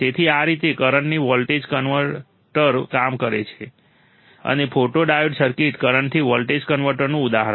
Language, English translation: Gujarati, So, this is how the current to voltage converter works, and photodiode circuit is an example of current to voltage converter